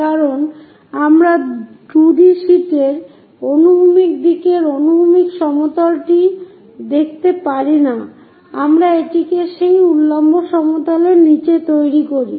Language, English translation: Bengali, Because we cannot show horizontal plane in the horizontal direction of a 2D sheet we make it below that vertical plane